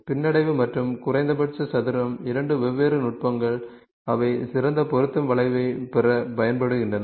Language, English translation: Tamil, Regression and a least square are two different techniques which are different different techniques which are used to get the best fit curve